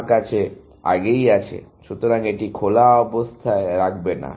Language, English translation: Bengali, You have already; so, do not put it into open